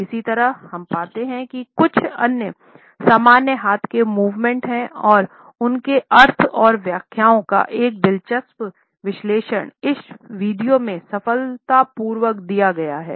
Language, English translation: Hindi, Similarly, we find that an interesting analysis of some common hand movements and their meanings and interpretations are succinctly given in this video